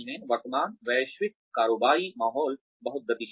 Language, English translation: Hindi, The current global business environment is so dynamic